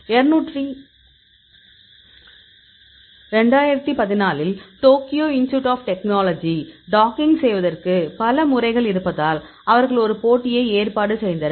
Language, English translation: Tamil, So, Tokyo Institute of Technology in 2014; they organized a competition because there are several methods available for docking